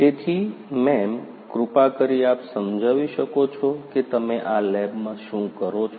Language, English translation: Gujarati, So, ma’am could be please explain what you do over here in this lab